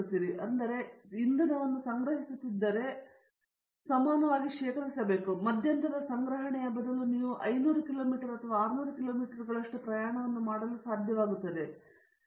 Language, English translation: Kannada, Therefore, if you are storing the fuel, we should store equivalent to that, so that you will be able to travel 500 kilometers or 600 kilometers at a stretch, instead of the intermediates storage